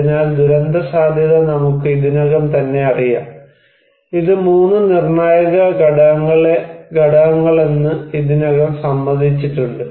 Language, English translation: Malayalam, So, disaster risk is we already know, is already agreed decisions that it is the 3 critical components